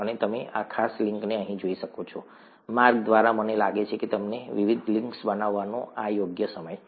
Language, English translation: Gujarati, You could look at this particular link here; by the way I think this is the right time to show you the various links